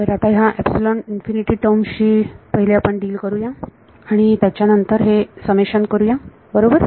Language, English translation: Marathi, So, let us let us deal with these epsilon infinity terms first and then get to the summation right